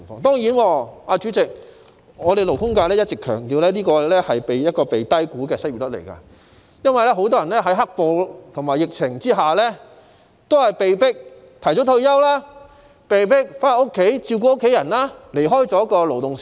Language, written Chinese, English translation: Cantonese, 當然，代理主席，勞工界一直強調這是被低估的失業率，因為很多人在"黑暴"和疫情下，被迫提早退休，或被迫回家照顧家人，離開勞動市場。, This is the present miserable situation . Of course Deputy President the labour sector has all along stressed that this unemployment rate is an underestimation because in the wake of the black - clad riots and the epidemic many people have left the labour market as they are forced to retire early or go home to take care of their families